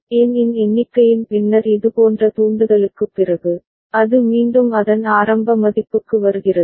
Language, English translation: Tamil, And after n such trigger after the count of n, it comes back to its initial value